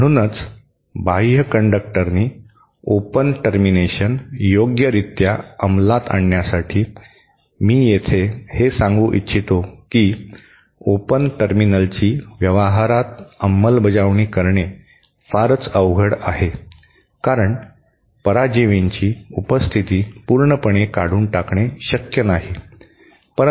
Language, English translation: Marathi, So, that is why the outer conductor, to properly implement an open, of course, I might add here that open terminal is very difficult to implement in practice because the presence of parasitics cannot be totally eliminate